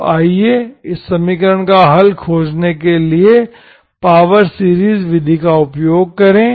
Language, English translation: Hindi, So let us use that method, power series method, we will apply power series method to find the solution for this equation